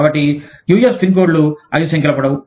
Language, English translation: Telugu, So, US zip codes are, five numbers long